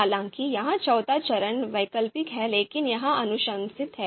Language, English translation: Hindi, So this is the fourth step, optional but recommended